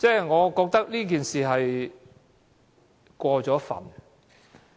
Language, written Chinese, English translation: Cantonese, 我覺得這說法，有點過分。, I find such an expression quite over board